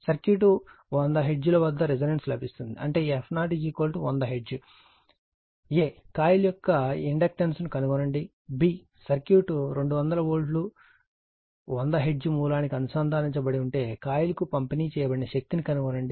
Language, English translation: Telugu, The circuit resonates at 100 hertz that means your f 0 is equal to 100 hertz; a, determine the inductance of the coil; b, If the circuit is connected across a 200 volt 100 hertz source, determine the power delivered to the coil